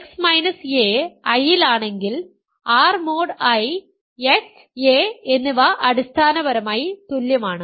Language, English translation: Malayalam, X minus a is in I, but if x minus a is in I, I claim that x plus I is equal to a plus I